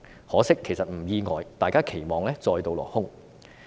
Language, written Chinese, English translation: Cantonese, 可惜——其實並不意外——大家的期望再度落空。, Unfortunately but not surprisingly indeed our expectations have once again fallen short